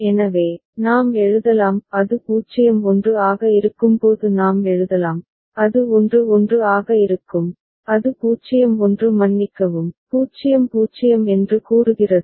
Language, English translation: Tamil, So, we can write; we can write when it is at 0 1 and it is at 1 1, it is going to 0 1 sorry, 0 0 that is state a is it fine